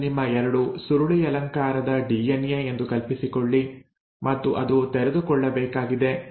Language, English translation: Kannada, So it is like you imagine that this is your double helix DNA and then it has to open up